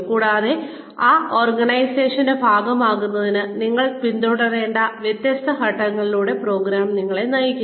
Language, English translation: Malayalam, And, the program guides you through the different steps, that you will need to follow, in order to become, a part of that organization